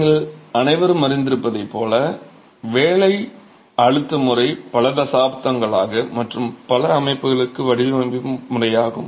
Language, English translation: Tamil, So, as all of you would be aware, working stress method has been the method of design for several decades and for several systems